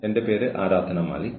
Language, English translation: Malayalam, My name is Aradhna Malik